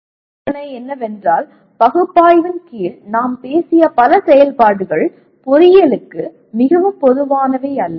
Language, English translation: Tamil, The other issue is many of the activities that we talked about under analyze are not very common to engineering